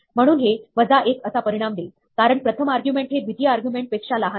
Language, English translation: Marathi, So, this will result in minus 1, because, the first argument is smaller than the second argument